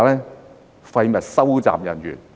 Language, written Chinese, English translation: Cantonese, 是廢物收集人員。, It is waste collection officer